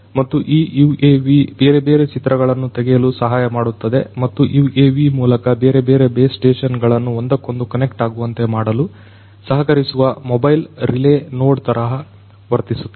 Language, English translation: Kannada, And this UAV basically helps in taking the different images and can also act like a mobile relay node, which can help connect different base stations to each other through this UAV